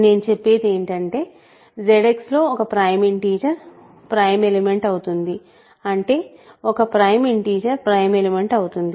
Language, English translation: Telugu, If a prime in; so, what I will be saying is a prime integer in Z X is a prime element that is what we are saying right, a prime integer is a prime element